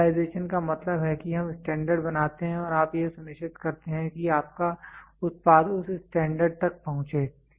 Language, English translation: Hindi, Standardization means we make standards and you make sure that your product is up to that standard